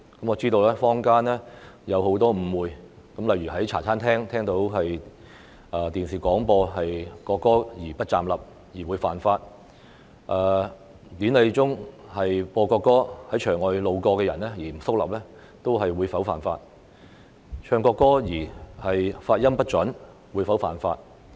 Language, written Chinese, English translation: Cantonese, 我知道坊間有很多誤會，例如說在茶餐廳聽到電視廣播國歌而不站立；或說典禮中播放國歌而在場外路過的人不肅立；或唱國歌發音不準，便屬犯法。, I am aware that there are many misunderstandings in the society . For example some people claimed that it is an offence not to rise when the national anthem is broadcast on television in restaurants for passers - by outside the venue not to stand at attention when the national anthem is played in ceremonies; or to sing the national anthem with inaccurate pronunciation